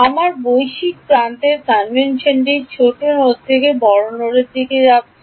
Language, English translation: Bengali, My global edge convention is smaller node to larger node ok